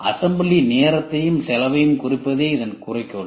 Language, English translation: Tamil, The goal is to reduce the assembly time and cost